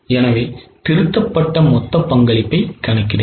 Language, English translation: Tamil, So, compute the revised total contribution